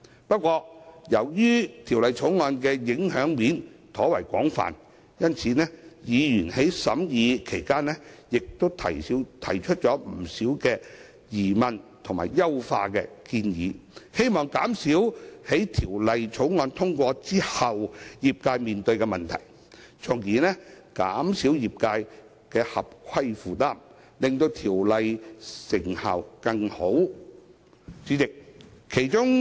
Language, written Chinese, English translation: Cantonese, 不過，由於《條例草案》的影響層面廣泛，委員在審議期間提出了多項疑問及優化建議，藉此減少《條例草案》通過後業界所面對的問題，從而減少業界的合規負擔，以提升《條例》的成效。, However given the wide - ranging impact of the Bill members have raised a number of questions and made refinement suggestions during the deliberation in order to reduce the problems faced by the sector upon the passage of the Bill . This will enhance the effectiveness of the Bill by minimizing the compliance burden of the sector